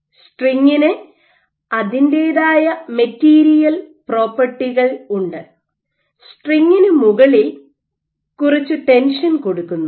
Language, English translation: Malayalam, So, the string has its own material properties on top of which you are tensing the string, you are adding some tension in this string